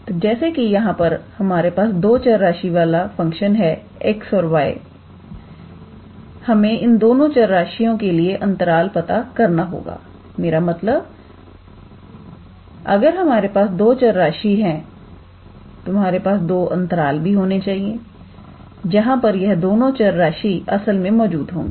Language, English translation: Hindi, So, since we have two variables here, x and y we need to find the intervals for these two variables; that means, if you have two variables then you must be having two intervals where these two variables actually belong to